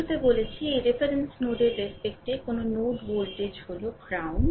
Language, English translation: Bengali, At the beginning we have told any node voltage with respect to this reference node, this this is ground